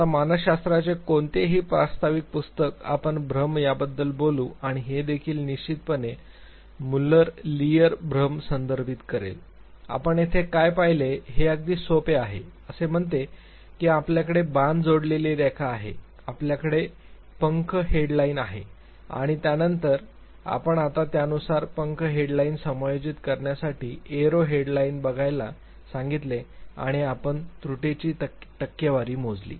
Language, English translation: Marathi, Now any introductory book of psychology we will talk about illusion and it will also definitely refer to Muller Lyer illusion; what you saw here was too simple that say you have arrow added line, you have feather headed line and then you just now ask the participant to look at the arrow head line to adjust the feather headed line accordingly and you calculate the percentage of error